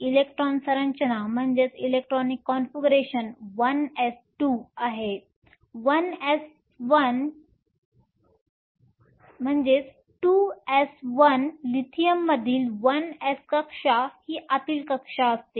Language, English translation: Marathi, The electronic configuration is1 s 2, 2 s 1 the 1 s shell in Lithium is an inner shell